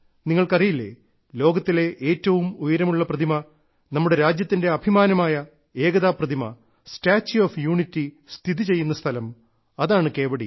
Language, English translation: Malayalam, And you also know that this is the same Kevadiya where the world's tallest statue, the pride of our country, the Statue of Unity is located, that is the very Kevadiya I am talking about